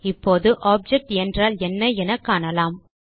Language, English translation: Tamil, Now let us see what an object is